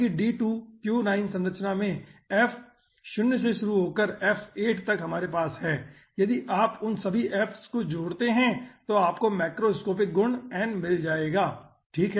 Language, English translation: Hindi, so that means in d2q9 structure, starting from f 0 to f 8 we are having, if you add all those fs, you will be getting the aah macroscopic property n